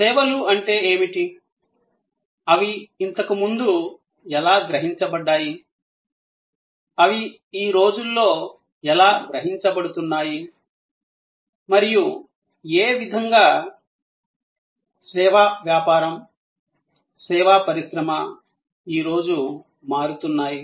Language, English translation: Telugu, What are services, how they were perceived earlier, how they are being perceived today and in what way service business, service industry is transforming today